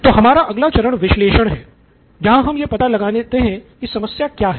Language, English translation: Hindi, So analyze is the next phase to find out what is the problem